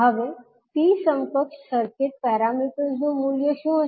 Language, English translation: Gujarati, Now, what would be the value of T equivalent circuit parameters